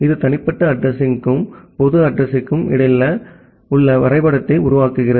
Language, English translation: Tamil, It makes a mapping between the private address and the public address